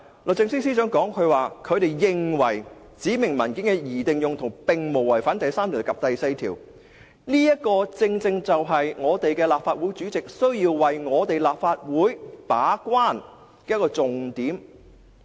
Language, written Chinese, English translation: Cantonese, 律政司司長認為，"指明文件的擬定用途並無違反第3及第4條的規定"，這正正是立法會主席須為立法會把關的一個重點。, The Secretary for Justice considers that section 3 and 4 are not infringed as far as the intended use of the specified documents is concerned . This is precisely the key point that the President of the Legislative Council has to defend for this Council